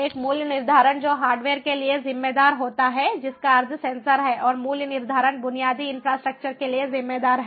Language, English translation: Hindi, one is the pricing that is attributed to the hardware, that means the sensor, and the pricing that is attributed to the infrastructure